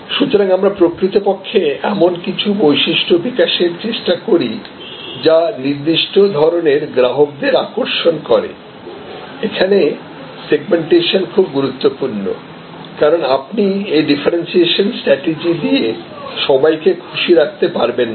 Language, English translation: Bengali, So, this is how actually we try to develop certain features that attractors certain type of customers, here segmentation becomes very important, because you cannot be everything to everybody with this differentiation strategy